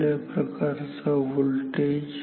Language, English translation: Marathi, What kind of voltage